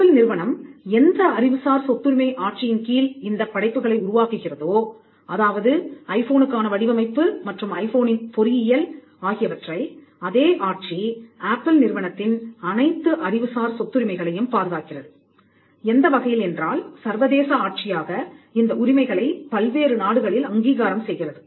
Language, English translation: Tamil, The regime where Apple creates these works that is the design for the iPhone and the engineering of the iPhone, the regime protects all of Apples intellectual property rights; in such a way that the international regime recognizes these rights in different countries